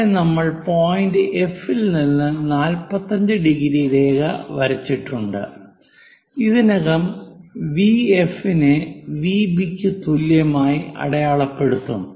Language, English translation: Malayalam, So, we are at point number 5, where we have drawn a 45 degree line, this is 45 degree line from point F, and already we have located V F equal to V B